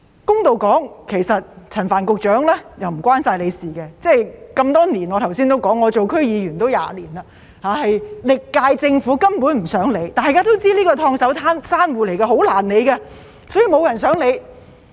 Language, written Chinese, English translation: Cantonese, 公道點說，這不只限於陳帆局長的事，我剛才說過，這是多年來的問題，我做區議員也20年，歷屆政府根本不想處理，大家都知道這是"燙手山芋"，很難處理，所以沒有人想處理。, To be fair this problem does not concern Secretary Frank CHAN alone as I said just now; it has existed for many years . I have been a DC member for 20 years and all previous terms of Government simply do not want to deal with the problem . Everyone knows that it is a hot potato which is very difficult to deal with and no one wants to handle it